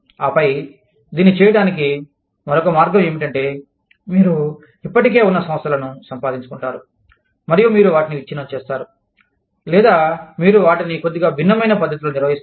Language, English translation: Telugu, And then, the other way of doing it is, you acquire existing enterprises, and you break them apart, or you manage them, in a slightly different manner